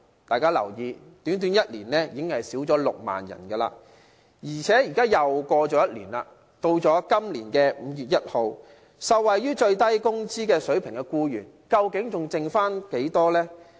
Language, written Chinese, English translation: Cantonese, 大家要留意，短短1年已經減少6萬人，而且現在又過了1年，到今年5月1日，受惠於最低工資的僱員，究竟還剩下多少呢？, The figure has dropped by 60 000 in one year . And another year has passed how many employees will be left to benefit from SMW on 1 May this year?